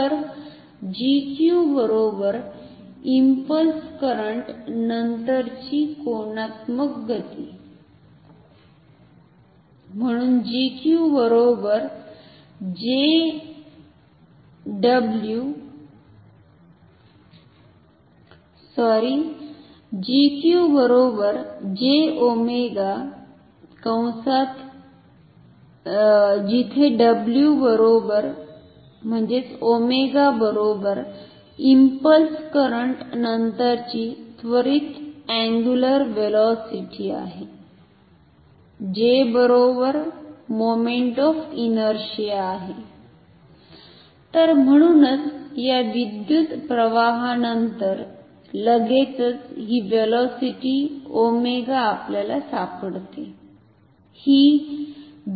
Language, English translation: Marathi, So, G Q is equal to angular momentum after impulse current and then this should be equal to J times omega where omega is equal to the angular velocity after immediately after the impulse current so, immediately after and J is of course, moment of inertia